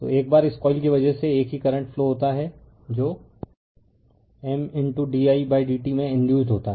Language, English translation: Hindi, So, once because of this coil same current is flowing voltage will be induced there in M into d i by d t